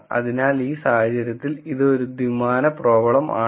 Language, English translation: Malayalam, So, in this case it is a two dimensional problem